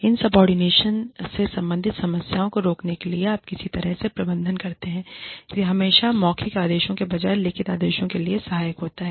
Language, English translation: Hindi, How do you manage, insubordination, in order to prevent problems, for relating to insubordination, it is always helpful to have written orders, instead of oral orders